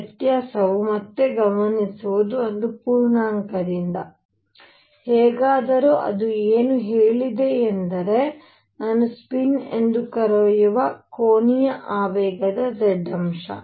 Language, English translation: Kannada, This difference again notice is by one integer; however, what it said was that z component of angular momentum which I will call spin